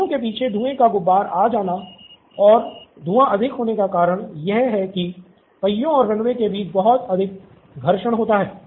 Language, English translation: Hindi, The reason there is a lot of smoke, puff of smoke coming at the back of the wheel is that there is a lot of friction between the wheel and the runway